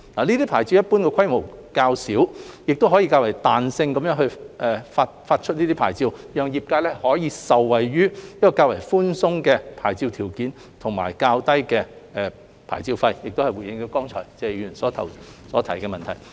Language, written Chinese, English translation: Cantonese, 這些牌照一般規模較小，可以較彈性的發牌方式發出，讓業界可受惠於較寬鬆的牌照條件及較低的牌照費，亦間接回應了剛才謝議員所提出的問題。, These licences which are generally smaller in scale can be issued with more flexibility and enable the industry to benefit from more relaxed licence conditions and lower licence fees . This also serves as an indirect response to the question raised by Mr TSE just now